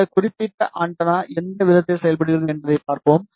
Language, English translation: Tamil, And we will see in what manner this particular antenna is behaving